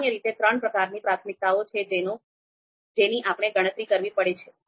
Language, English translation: Gujarati, So typically, there are three types of priorities that we have to calculate